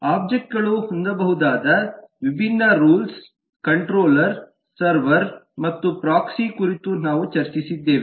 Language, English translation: Kannada, we have discussed about different rules that objects can have: controller, server and proxy